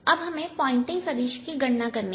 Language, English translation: Hindi, now we have to calculate the pointing vector